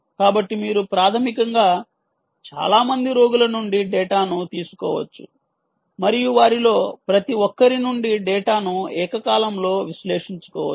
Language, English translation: Telugu, so you could basically take data from several patients and simultaneously analyze ah the data from each one of them